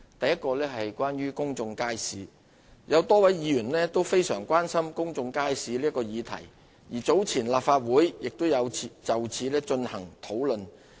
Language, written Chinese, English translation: Cantonese, 一公眾街市有多位議員都非常關心公眾街市這個議題，而早前立法會亦有就此進行討論。, 1 Public markets A number of Members have expressed grave concern about the issue of public markets and relevant discussions had already been conducted in this Council earlier